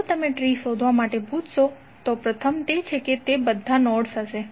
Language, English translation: Gujarati, If you ask to find out the tree then first is that it will contain all nodes